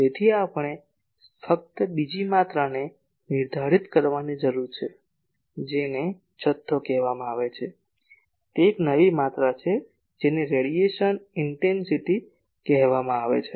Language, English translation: Gujarati, So, we just need to define another quantity that quantity is called that is a new quantity it is called